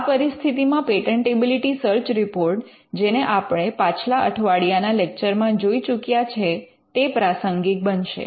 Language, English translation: Gujarati, So, this is where getting a patentability search report something which we covered in last week’s lecture would become relevant